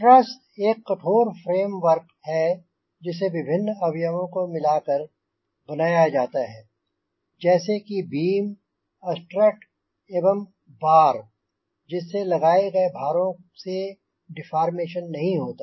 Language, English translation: Hindi, a thrust is a rigid frame work made up of members such as beams, struts and bolls to resist deformation by applied loads